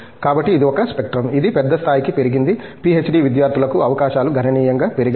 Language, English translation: Telugu, So, this is one spectrum which has grown to a big level that the opportunities for PhD students into those have significantly grown